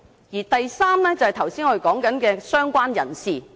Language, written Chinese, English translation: Cantonese, 而第三類就是，我們剛才說的"相關人士"。, And the third category is related person which we have just mentioned